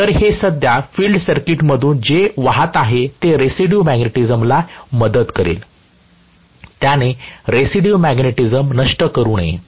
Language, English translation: Marathi, So, this current what is flowing through the field circuit should aid the residual magnetism, it should not kill the residual magnetism